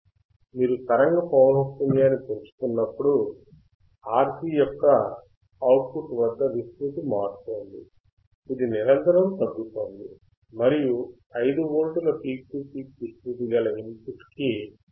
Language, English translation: Telugu, You see, as you go on increasing the frequency, the amplitude at the output of the RC is changing; it is continuously decreasing, and you can see the peak to peak amplitude for the 5 volts input is 1